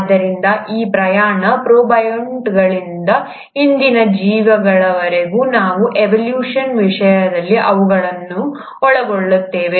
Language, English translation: Kannada, So this journey, all the way from protobionts to the present day organisms, we’ll cover them in the, in the topic of evolution